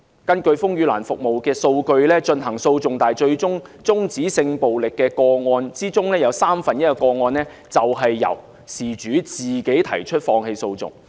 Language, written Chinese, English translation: Cantonese, 根據風雨蘭的服務數據，在提出訴訟但最後終止的性暴力個案之中，有三分之一的個案便是由事主自行放棄訴訟。, According to the figures provided by RainLily of all the sexual violence cases dropped about one third of them were dropped voluntarily by the victims